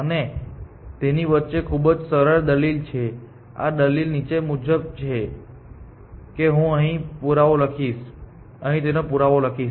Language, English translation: Gujarati, And it has very simple argument, the argument is as follows that so the proof for this I will write here